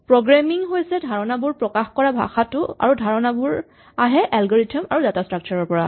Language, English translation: Assamese, Programming is about expressing these ideas, but the ideas themselves come from algorithms and data structures